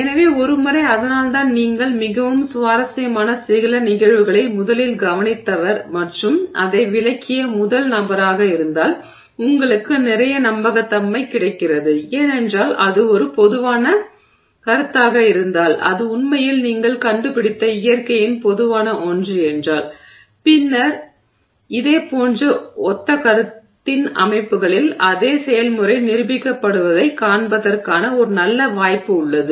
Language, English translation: Tamil, So, once that's why you get a lot of credibility if you are the first to observe some phenomena that is very interesting and the first to explain it because if that is a general concept, if that is really something general to nature that you have discovered then there is a good chance that in systems of similar you know concept you will see the same process being demonstrated